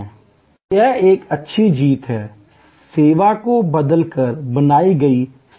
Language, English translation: Hindi, So, it is a good win, win situation created by transforming the service itself